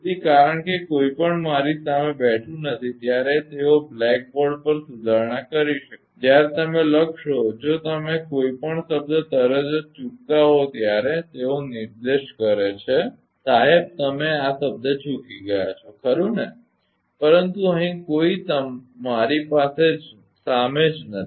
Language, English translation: Gujarati, So, because in the nobody is sitting in front of me then they can rectify cell on the blackboard when you write if we miss any term immediately they point out sir you have missed the term right, but here nobody is there in front of me right